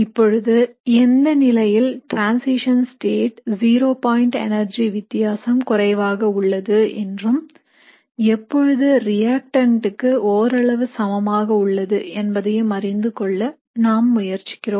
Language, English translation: Tamil, So now we are trying to understand what are the cases where the transition state zero point energy difference is small and what are the cases where it is comparable to the reactant